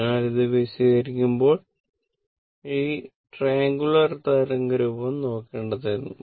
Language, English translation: Malayalam, So, while ah explaining this one ah this triangular waveform, I should have gone